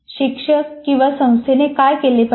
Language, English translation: Marathi, What should the teacher or the institution do